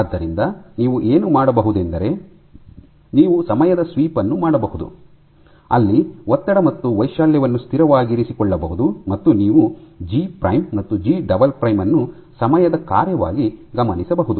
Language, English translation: Kannada, So, what you can do is you can do a time sweep where the strain and the amplitude is kept constant, and you monitor G prime and G double prime as a function of time